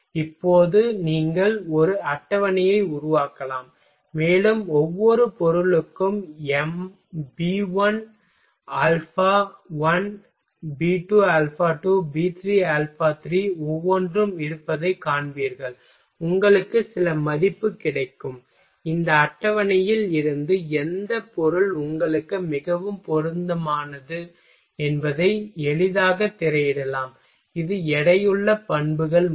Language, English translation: Tamil, Now you using you can make a table and you will find that B1 alpha1 B2 alpha 2, B 3 alpha 3 each for each material, you will get some value and from this table you can easily screened out which material will be most suitable for you that is the weighted properties method